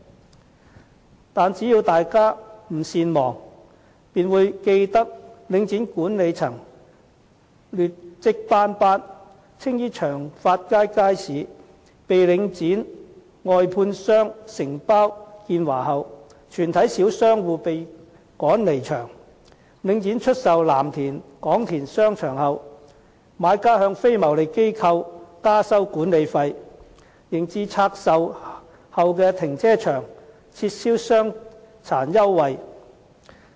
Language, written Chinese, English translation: Cantonese, 可是，只要大家不善忘，便會記得領展管理層劣績斑斑，青衣長發街街市被領展外判予承包商建華後，全體小商戶被趕離場；領展出售藍田廣田商場後，買家向非牟利機構加收管理費，及至向拆售後的停車場撤銷傷殘優惠。, If Members are not forgetful they should remember the poor track record of management of Link REIT . After Cheung Fat Market in Tsing Yi was outsourced to the contractor Uni - China all small shop operators were forced to move out . As for Kwong Tin Shopping Centre in Lam Tin after it was sold by Link REIT the buyer increased the management fees charged on non - profit - making tenants and cancelled the concession for persons with disabilities at car parking facilities divested